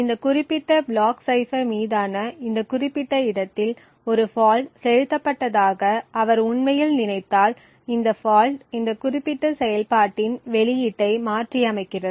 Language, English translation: Tamil, Now if he actually think that a fault is injected say at this particular location in this particular block cipher, this fault modifies the output of this particular operation